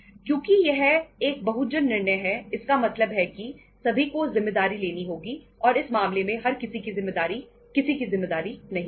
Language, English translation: Hindi, Because itís a multi people decision again so it means everybody has to take the responsibility and in that case everybodyís responsibility is nobodyís responsibility